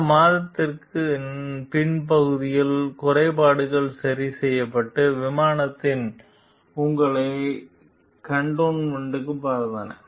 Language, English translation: Tamil, The glitches fixed later that month and the planes flew you to Kadena